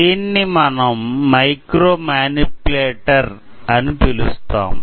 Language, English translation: Telugu, This is how we use a micro manipulator